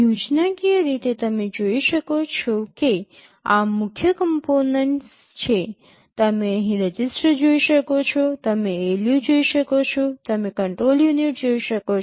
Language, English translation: Gujarati, Schematically you can see these are the main components, you can see the registers here, you can see the ALU, you can see the control unit